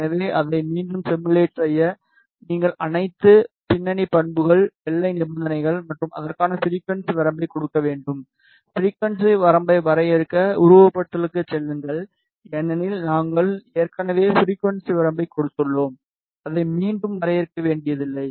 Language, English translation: Tamil, So, to simulate it again you need to give all the background ah background properties boundary conditions and the frequency range for that, go to simulation define frequency range since we have already given the frequency range we need not to define it again then you select the boundary properties open add space